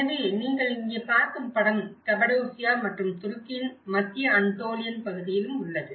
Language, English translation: Tamil, So, the picture which you are seeing here is in the Cappadocia and also the central Antolian region of Turkey